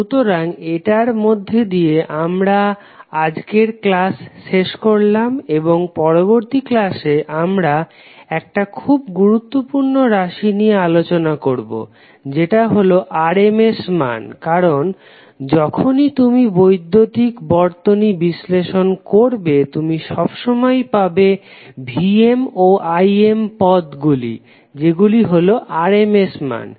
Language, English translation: Bengali, So this we finish our today's class and next class we will discuss about the one of the most important term called RMS values because whenever you analyze the electrical circuit, you will always get the Vm and Im as represented in terms of RMS value